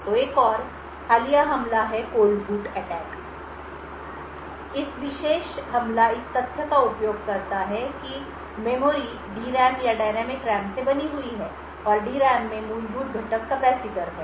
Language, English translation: Hindi, So, another recent attack is the Cold Boot Attack, So, this particular attack use the fact that the memory is made out D RAM or the dynamic RAM and the fundamental component in the D RAM is the capacitor